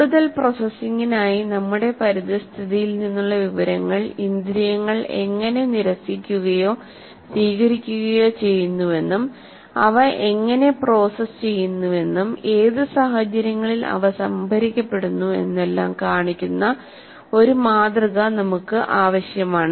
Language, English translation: Malayalam, Now, we require a model that should address how the information from our environment is rejected or accepted by senses for further processing and how the accepted information is processed under what conditions it gets stored